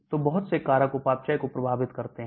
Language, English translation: Hindi, So many factors affect metabolism